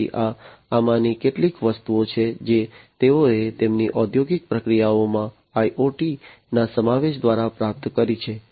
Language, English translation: Gujarati, So, these are some of these things that they have achieved through the incorporation of IoT in their industrial processes, so enhanced ecosystem